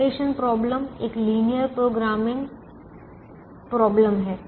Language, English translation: Hindi, therefore this problem is a linear programming problem